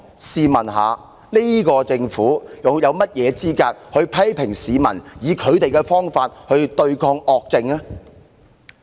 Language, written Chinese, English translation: Cantonese, 試問這個政府又有何資格批評市民以他們的方法來對抗惡政呢？, Is the Government qualified to criticize members of the public who revolt against tyranny in their own way?